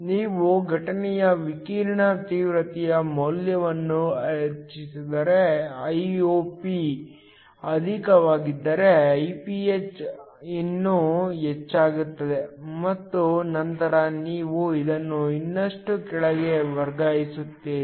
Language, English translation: Kannada, If you increase the value of the incident radiation intensity so that Iop is higher then Iph will be even higher and then you are shifting this even further below